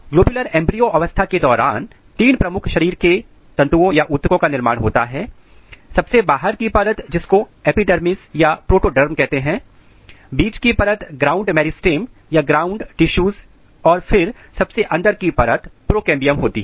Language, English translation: Hindi, During globular embryo stage, the three major body tissues are established, the outer most layer which is called epidermis or protoderm, then middle layer is ground meristem or ground tissues and the inner most layer is procambium